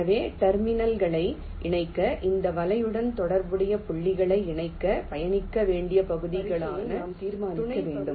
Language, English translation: Tamil, ok, so for connecting the terminals, we have to determine a sequence of sub regions, the which are the regions that need to be traversed to connect the points corresponding to this net